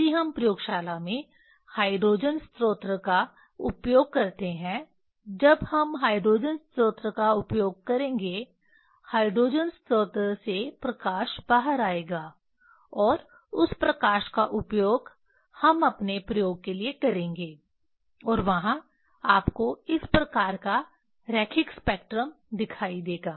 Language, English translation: Hindi, if we use hydrogen source in laboratory when we will use hydrogen source in hydrogen source what about light will come out and that light we will use for our experiment and there this you will see this type of line spectra